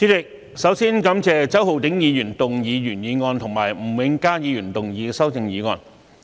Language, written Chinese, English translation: Cantonese, 主席，首先感謝周浩鼎議員動議原議案和吳永嘉議員動議修正案。, President first I thank Mr Holden CHOW for proposing the original motion and Mr Jimmy NG for proposing the amendment